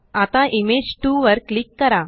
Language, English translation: Marathi, Now click on Image 2